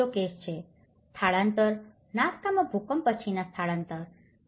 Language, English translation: Gujarati, This is another case, relocation, post earthquake relocation in Nasca, Ica